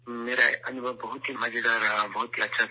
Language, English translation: Urdu, My experience was very enjoyable, very good